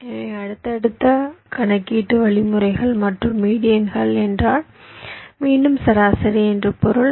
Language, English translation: Tamil, so because you are successively computing means and medians, medians than means, again median, again mean